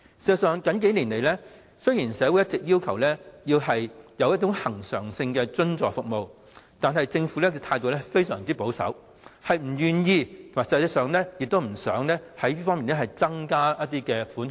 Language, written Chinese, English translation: Cantonese, 事實上，雖然社會最近數年一直要求政府提供恆常性津助服務，但政府的態度非常保守，不願意就實際需求在此方面增加一些款項。, In fact there have been voices in society calling for allocating recurrent subvention for services in recent years but the Government simply maintains a very conservative stance and is reluctant to increase the allocation to address the actual demand